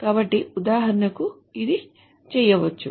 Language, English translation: Telugu, So for example, this can be done